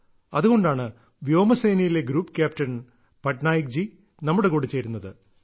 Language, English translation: Malayalam, That is why Group Captain Patnaik ji from the Air Force is joining us